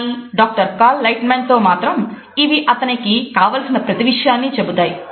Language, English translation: Telugu, With the Doctor Cal Lightman they tell him everything he needs to know